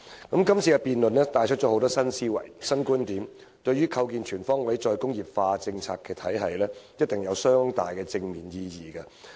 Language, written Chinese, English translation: Cantonese, 今次議案辯論帶出了很多新思維、新觀點，對於構建全方位"再工業化"政策體系定有相當的正面意義。, This motion debate has induced an array of new ideas and perspectives which is definitely of considerable positive significance to establishing a comprehensive re - industrialization policy regime